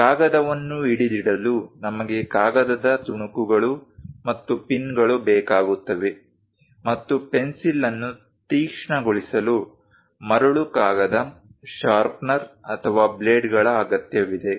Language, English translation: Kannada, To hold the paper, we require paper clips and pins; and to sharpen the pencil, sandpaper, sharpener, or blades are required